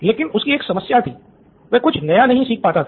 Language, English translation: Hindi, But he had one problem, he just couldn’t learn anything new